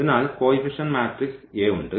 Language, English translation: Malayalam, So, we have the coefficient matrix that this I will matrix A